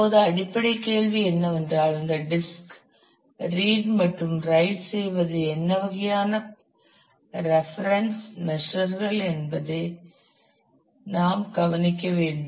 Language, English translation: Tamil, Now basic question is for doing this read write on the disk what kind of performance measures we should look at